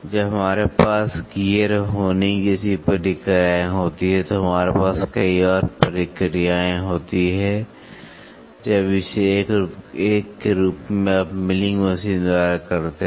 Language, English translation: Hindi, When we do many we have processes like gear, honing and gear honing we have and then we have many more processes, when it as a single one you can do it by milling machine